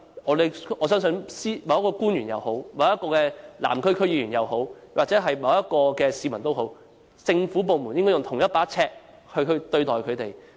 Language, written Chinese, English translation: Cantonese, 我相信不論是某位官員也好，某位南區區議員也好，甚或某位市民也好，政府部門也應用同一把尺對待他們。, In my view regardless of whether the person concerned is a public officer a Southern District Council member or a member of the public government departments should use the same yardstick for assessment